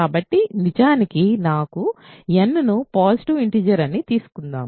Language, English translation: Telugu, So, actually let me take n to be a positive integer